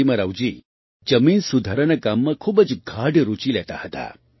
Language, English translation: Gujarati, Narasimha Rao ji took a very keen interest in the work of Land Reform